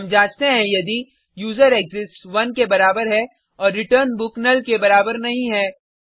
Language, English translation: Hindi, We check if userExists is equal to 1 and return book is not equal to null